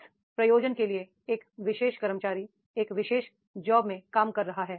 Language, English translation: Hindi, For what purpose the particular employee is working with that particular job